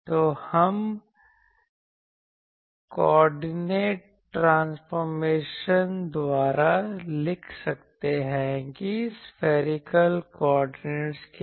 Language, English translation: Hindi, So, we can write by coordinate transformation that to spherical coordinate